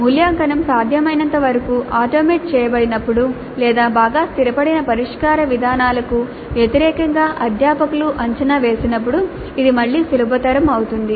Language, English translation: Telugu, This again is facilitated when the evaluation can be automated to the extent possible or when the evaluation is by a faculty against well established solution patterns